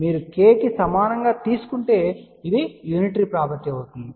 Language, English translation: Telugu, If you take k equal to j this becomes unitary property